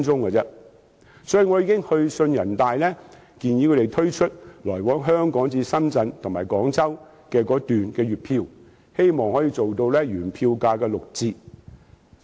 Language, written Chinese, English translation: Cantonese, 所以，我已經去信人大常委會，建議他們推出來往香港至深圳及廣州的高鐵月票，希望可以提供原票價的六折優惠。, Therefore I have already written to NPCSC and proposed the introduction of monthly tickets for express rail link journeys from Hong Kong to Shenzhen and Guangzhou and vice versa . And I hope a concessionary fare at 60 % of the standard fare can be offered